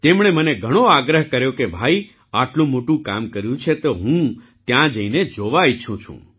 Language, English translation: Gujarati, He urged me a lot that you have done such a great work, so I want to go there and see